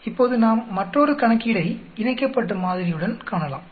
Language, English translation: Tamil, Now let us look at another problem with the paired sample